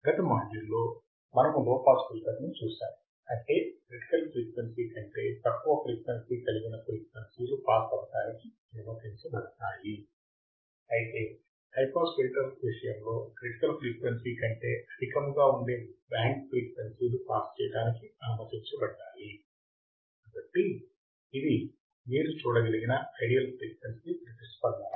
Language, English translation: Telugu, In the last module, we have seen low pass filter; that means, the frequency below critical frequencies were allowed to pass right, band frequencies below for critical frequencies were allowed to pass while in case of high pass filter the band of frequencies above critical frequencies are allowed to pass